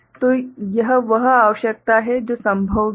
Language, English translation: Hindi, So, this is the requirement that also is possible